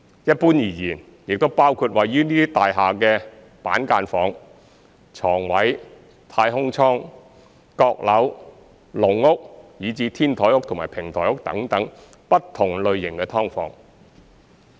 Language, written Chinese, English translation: Cantonese, 一般而言，亦包括位於這些大廈的板間房、床位、太空倉、閣樓、籠屋，以至"天台屋"和"平台屋"等不同類型的"劏房"。, Generally speaking it also covers different types of subdivided units in these buildings such as cubicles bedspaces capsules cocklofts cage homes as well as rooftop and podium units